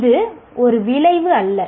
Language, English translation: Tamil, So what is an outcome